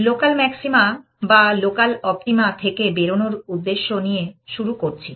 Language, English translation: Bengali, With our objective of escaping local maxima or local optima